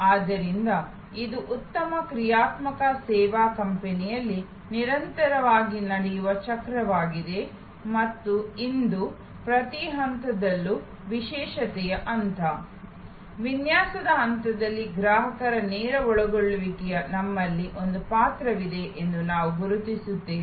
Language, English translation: Kannada, So, this is the cycle that continuous in a good dynamic service company and today, we recognize that we have a role for direct involvement of the consumer at every stage, the analysis stage, design stage